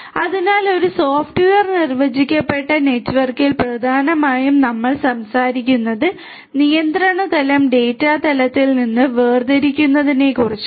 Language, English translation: Malayalam, So, in a software defined network essentially we are talking about separating out the control plane from the data plane